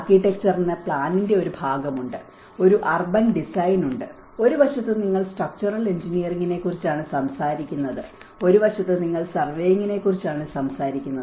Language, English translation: Malayalam, The architecture has a part of planning, an urban design and on one side you are talking about the structural engineering, one side you are talking about the surveying